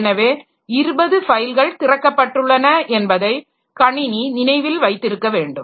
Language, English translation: Tamil, So, the system needs to remember which 20 files have been opened now